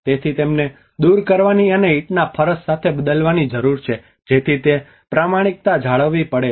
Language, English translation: Gujarati, So they need to be removed and replaced with the brick paving so in that way that authenticity has to be maintained